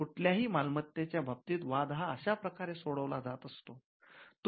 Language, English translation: Marathi, Now disputes with regard to property is normally settled in this way